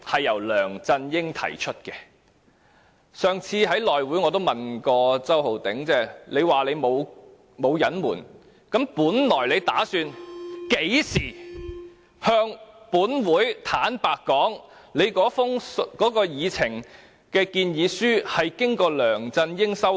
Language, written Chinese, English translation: Cantonese, 我也曾在上次內務委員會會議上問周浩鼎議員："你說你沒有隱瞞，那你本來打算甚麼時候向本會坦白說，你的建議書經過梁振英修改？, I also asked Mr Holden CHOW at the last meeting of the House Committee You said that you had not concealed anything; when did you intend to confess to this Council that your proposal had been amended by LEUNG Chun - ying?